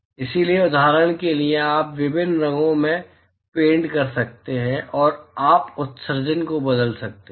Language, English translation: Hindi, So, for example, you could paint with different colours and you could change the emissivity